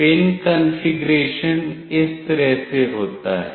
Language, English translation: Hindi, The pin configuration goes like this